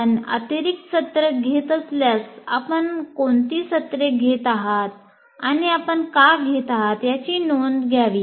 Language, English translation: Marathi, But if you are taking extra sessions, you should record why you are taking that session